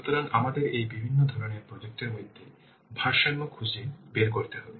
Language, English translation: Bengali, So, we have to do a balance between these different kinds of projects